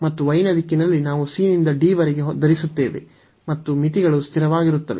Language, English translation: Kannada, And in the direction of y we are wearing from c to d and the limits are constant they are not depending on each other